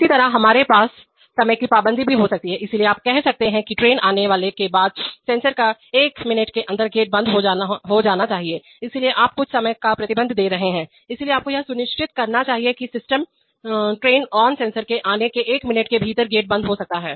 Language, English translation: Hindi, Similarly we could also have timing restrictions, so you can say that after the train coming sensor becomes on within one minute the gate closed sensor should be come on, so now you are giving some timing restriction, so you must ensure that the system, the gate becomes closed within one minute of the train coming sensor be coming on